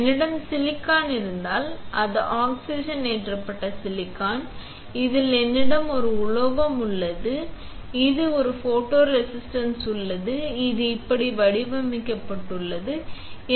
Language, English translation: Tamil, If I have silicon that is the oxidized silicon, on this I have a metal, on this there is a photoresist which is patterned like this, ok